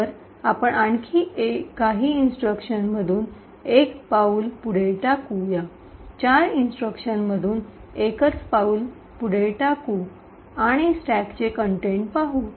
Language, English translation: Marathi, So, let us single step through a few more instructions let us say the single step through four instructions and look at the contents of the stack